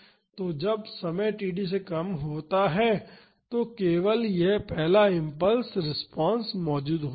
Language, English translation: Hindi, So, when time is less than td only this first impulse response is existing